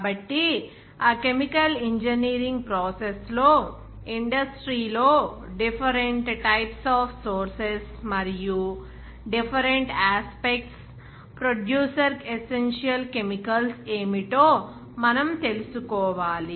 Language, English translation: Telugu, So, that chemical engineering process, of course, we should know what are the different types of forces are there in industry, and also in different aspects of producer essential chemicals